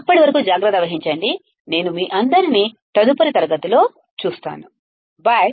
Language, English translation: Telugu, Till then take care, I will see you all in the next class, bye